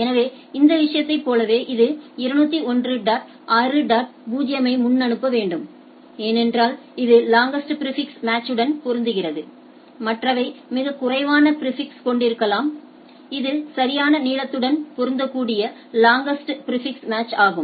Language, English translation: Tamil, So, like here in this case it needs to be forwarded 201 dot 6 dot 0 because that is the longest prefix which match whereas, others can have a much less prefix that is this is the longest prefix which matches right